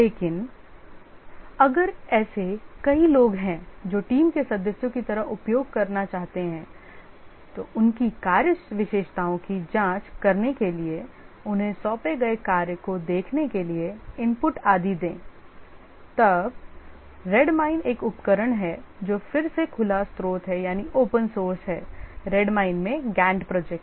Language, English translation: Hindi, But if there are multiple people who would like to use, like the team members would like to examine their task characteristics, the tasks assigned to them, give inputs and so on, then Red Mine is a tool which is again open source, Gant Project and Red Mine